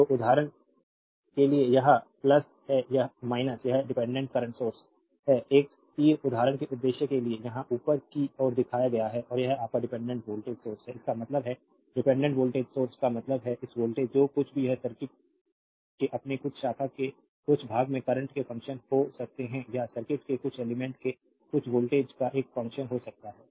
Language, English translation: Hindi, So, for example, this is plus minus this is dependent current source right an arrow is shown upward here right just for the purpose of example and this is your dependent voltage source; that means, dependent voltage source means this voltage whatever it is it may be function of current in the some part of the your some branch of the circuit or may be a function of some voltage across some elements of the circuit